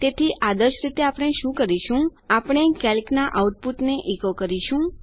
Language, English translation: Gujarati, So what we would ideally do is we will echo what has been out put from calc